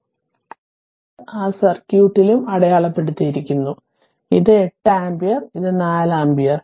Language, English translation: Malayalam, This is also marked in that circuit this is 8 ampere and this is 4 ampere